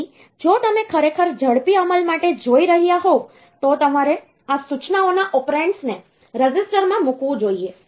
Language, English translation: Gujarati, So, if you are really looking for faster execution, then you should put the operands of these instructions into the resistor